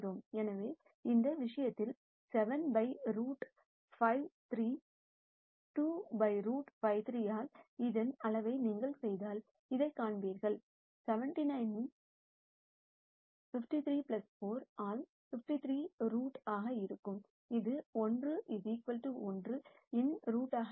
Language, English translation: Tamil, So, in this case 7 by root 53 2 by root 53, if you do the magnitude of this you will see this is going to be root of 49 by 53 plus 4 by 53, which will be root of 1 equals 1